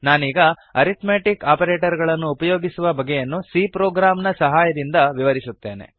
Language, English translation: Kannada, I will now demonstrate the use of these arithmetic operations with the help of a C program